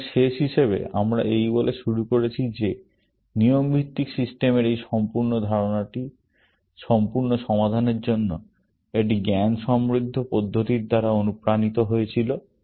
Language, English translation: Bengali, So, as the last bit, we started off by saying that this whole idea of rule based systems was motivated by a cognitive approach to problem solving